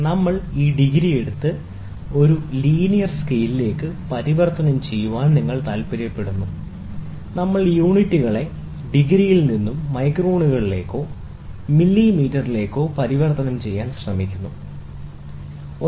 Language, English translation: Malayalam, If you are if we wanted to take this degree and then convert it into a linear scale, then we try to convert the units from degrees to microns or millimeter, ok